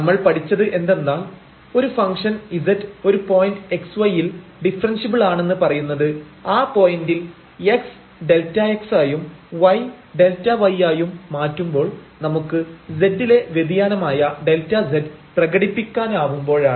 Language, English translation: Malayalam, And what we have learnt that a function z is said to be differentiable at the point x y, at any point x y; if at this point we can express this delta z which is the variation in z when we when we vary x by delta x and y by delta y